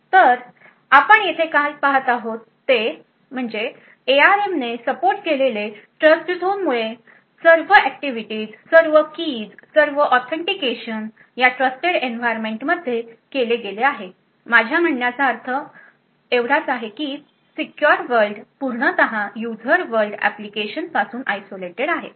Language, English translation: Marathi, So what you see over here is that because of the Trustzone which is supported by the ARM all the activities all the keys all the authentication which is done in this trusted environment I mean the secure world is completely isolated from the user world applications